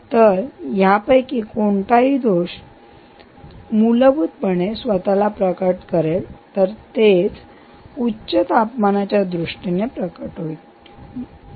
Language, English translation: Marathi, so any of these defects, essentially what it will manifest itself will be that the bearing will manifest in terms of higher temperature, right